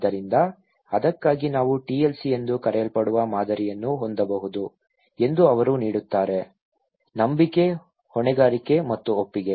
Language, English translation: Kannada, So, he is offering that for that we can have a kind of model which is called TLC; trust, liability and consent okay